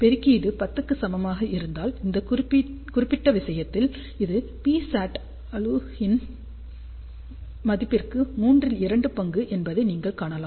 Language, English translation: Tamil, If gain is equal to 10, in that particular case you can see that this is almost two third of the P saturated value